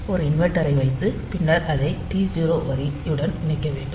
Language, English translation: Tamil, You can put an inverter and then feed it to the T 0 line